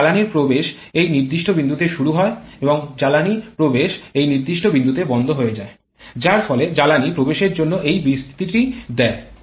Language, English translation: Bengali, And fuel injection starts at this particular point and fuel injection closes at this particular point thereby giving a span of this much for fuel injection